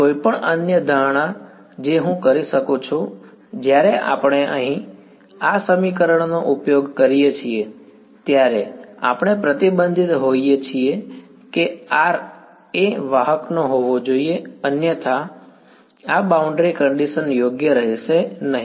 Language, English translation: Gujarati, Any other assumption that I can make; by the way when we when we use this equation over here we are constrained that r must belong to the conductor right otherwise this boundary condition is not going to be valid right